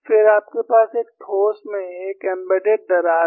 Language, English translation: Hindi, Then, you have an embedded crack in a solid